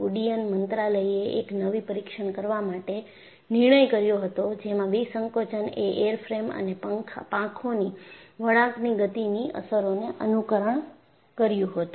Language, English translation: Gujarati, The Ministry of Civil Aviation decided upon a new test which in addition to decompression simulated the effects of motion such as flexing of the airframe and wings